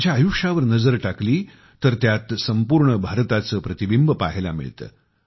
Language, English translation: Marathi, A glimpse of his life span reflects a glimpse of the entire India